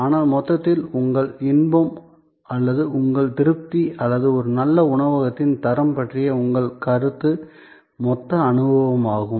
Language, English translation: Tamil, But, on the whole, your enjoyment or your satisfaction or your perception of quality of a good restaurant is the total experience